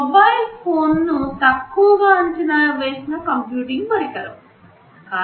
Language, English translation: Telugu, Talking about mobile phones this is a very underestimated computing device